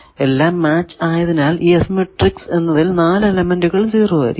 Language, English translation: Malayalam, So, matched at all ports give us 4 elements of the S matrix they go to 0